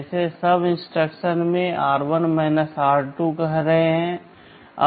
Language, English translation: Hindi, Like in SUB instruction we are saying r1 r2